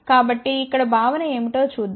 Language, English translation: Telugu, So, here let us see what is the concept